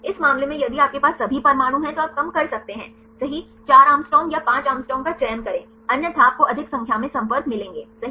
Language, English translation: Hindi, In the case if you have the all atoms then you can reduce right go for 4 Å or 5 Å otherwise you will get more number of contacts right